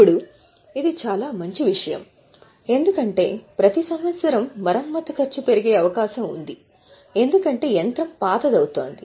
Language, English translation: Telugu, Now, this is a very good thing because every year the cost of repair is likely to increase because the machine is becoming older